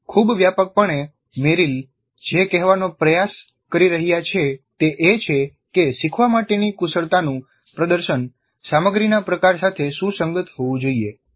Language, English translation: Gujarati, Very broadly what Merrill is trying to say is that the demonstration of the skills to be learned must be consistent with the type of content being taught